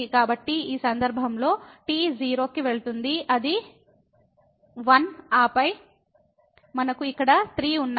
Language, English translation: Telugu, So, in this case t goes to 0, it will be 1 and then, we have 3 here